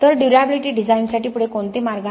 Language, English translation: Marathi, So what are the way forward for durability design